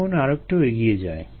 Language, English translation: Bengali, now let's get back